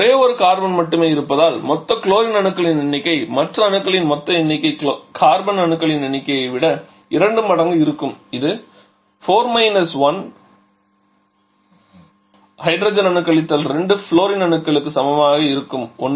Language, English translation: Tamil, Then total number of chlorine as there is only one carbon so total number of other atoms will be twice of that number of carbon + 2 that is equal to 4 1 hydro 2 fluorine that will be equal to 1